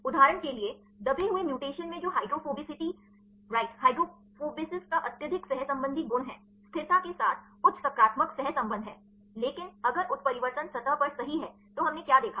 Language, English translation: Hindi, For example, in the burried mutation which properties a highly correlating right the hydrophobicity right hydrophobicity has high positive correlation with stability, but if the mutation is at the surface right then what did we observe